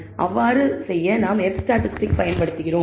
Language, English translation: Tamil, So, to do so we use the F statistic